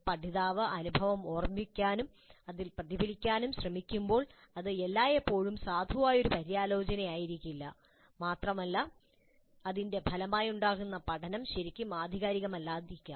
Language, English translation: Malayalam, So, when the learner is trying to recollect the experience and reflect on it, it may not be always a valid reflection and the learning that results from it may not be really authentic